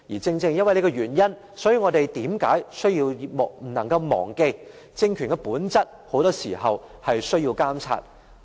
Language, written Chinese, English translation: Cantonese, 正正因為這個原因，我們不能忘記政權的本質很多時候是需要監察的。, For this reason we must not forget that very often in light of its nature a political regime needs monitoring